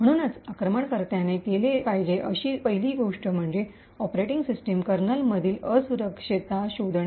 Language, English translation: Marathi, So, the first thing as we know the attacker should be doing is to find a vulnerability in the operating system kernel